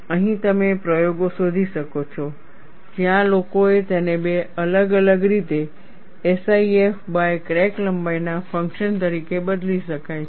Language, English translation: Gujarati, Here, you find, in experiments, where people have done it for two different ways SIF can change, as the function of crack length